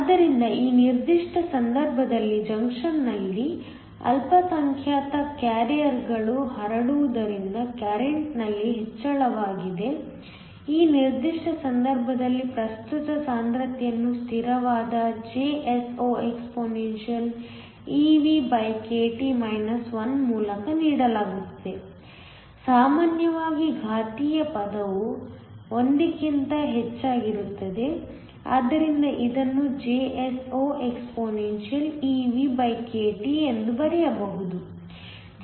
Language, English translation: Kannada, So, that there is an increase in current due to the minority carriers diffusing across the junction in this particular case the current density is given by a constant JsoexpeVkT 1 usually the exponential term is much higher than 1, so that this can be return has JsoexpeVkT